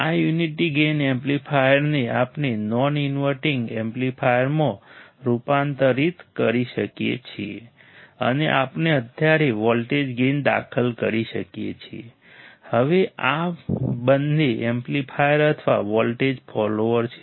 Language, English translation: Gujarati, This unity gain amplifier we can convert into a non inverting amplifier right and we can introduce a voltage gain right now this both are (Refer Time: 27:38) amplifier or a voltage follower right